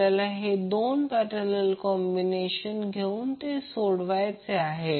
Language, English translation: Marathi, So first we have to take these two the parallel combinations and simplify it